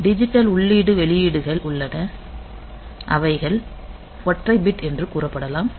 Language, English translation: Tamil, So, they have got a digital input output and these digital inputs outputs are being say a single bit input